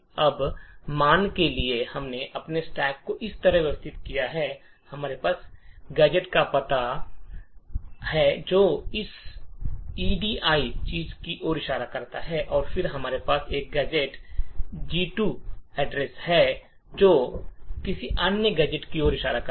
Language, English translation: Hindi, Now suppose we have arranged our stack like this, we have gadget address which is pointing to this add thing and then we have a gadget address 2 which is pointing to some other gadget